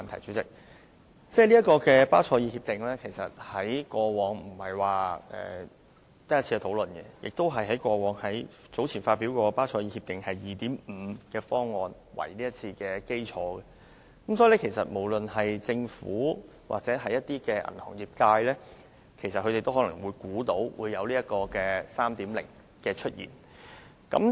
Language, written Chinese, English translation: Cantonese, 其實，巴塞爾協定以往並非只討論了一次，而有關的討論是以早前發表的《巴塞爾協定二點五》方案為基礎的，所以，不論政府或銀行業界都可能猜到有《巴塞爾協定三》的出現。, Actually the Basel Accord has been discussed more than once in the past and the relevant discussions were based on the Basel 2.5 package released earlier . Hence both the Government and the banking industry might have guessed that Basel III would come into being